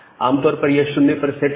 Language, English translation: Hindi, Usually it is set to 0